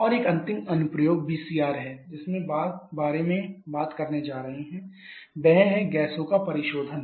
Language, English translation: Hindi, And a final application that you are going to talk about about the VCR is the liquification of gases